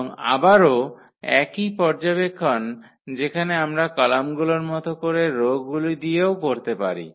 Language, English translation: Bengali, And again, the same observation which we have done here with the columns we can do with the rows as well